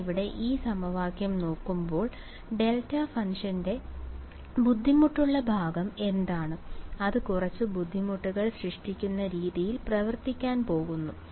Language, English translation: Malayalam, When you look at this equation over here what is the difficult part about it is the delta function right, it is going to act in the way that will present some difficulty